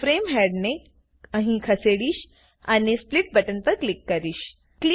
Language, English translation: Gujarati, I will move the frame head here and click on the Split button